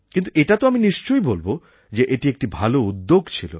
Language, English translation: Bengali, But I can say for sure that it was a good experiment